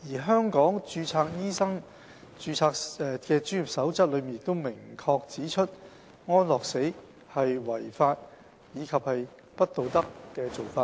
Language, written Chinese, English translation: Cantonese, 《香港註冊醫生專業守則》亦明確指出，安樂死是"違法及不道德的做法"。, The Code of Professional Conduct for the Guidance of Registered Medical Practitioners Code has also made it clear that euthanasia is illegal and unethical